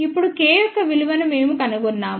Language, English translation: Telugu, Now, we find the value of K